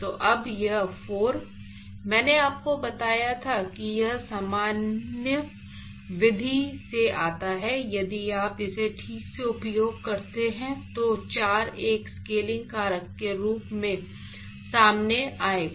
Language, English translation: Hindi, So now, this 4; obviously, I told you that it comes from the general method if you use it properly a 4 will come out as a scaling factor